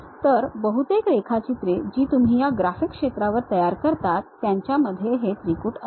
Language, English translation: Marathi, So, most of the drawings what you work on this area graphics area what we call will consist of triad